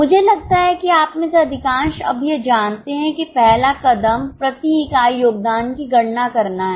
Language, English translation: Hindi, I think most of you know by now that the first step is calculating the contribution per unit